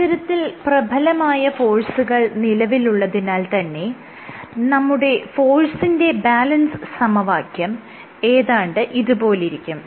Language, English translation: Malayalam, You have these forces and the force balance equation looks something like that